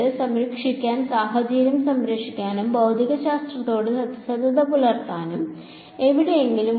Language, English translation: Malayalam, To save the is there anywhere to save the situation and still be truthful to physics